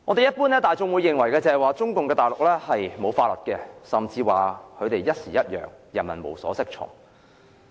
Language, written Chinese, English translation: Cantonese, 一般大眾認為，中共大陸是沒有法律的，甚至指他們朝令夕改，人民無所適從。, The general public think that communist China is ripped of a legal system . They have even asserted that they are capricious and this has aroused confusion among people